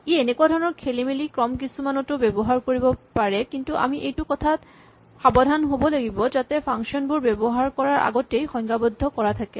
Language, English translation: Assamese, So, it may use this kind of jumbled up order, we have to be careful that functions are defined before they are used